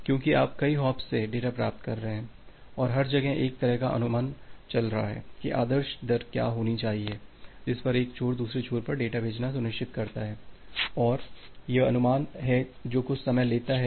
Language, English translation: Hindi, Because you are receiving data from multiple hops and every, where there is a kind of estimation going on that what should be the ideal rate at which the one ensure send the data at the other end, and this is the estimation takes some time